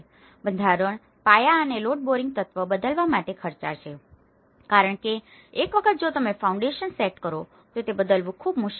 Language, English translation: Gujarati, The structure, the foundations and load bearing element are expensive to change because in the structure, once if you setup the foundation, it is very difficult to change